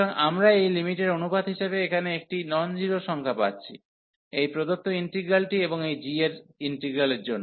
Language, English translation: Bengali, So, we are getting a non zero number here as the limit of this ratio that means, this integral the given integral and the integral of this g